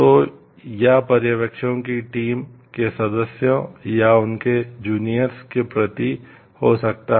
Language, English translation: Hindi, So, or the supervisors may have towards the team members or their juniors